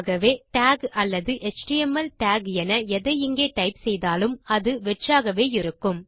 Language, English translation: Tamil, So whatever you type in here as tag or as html tag, its just blank